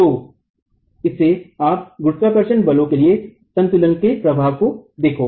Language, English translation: Hindi, So, add to this, you look at the effect of the equilibrium for the gravity forces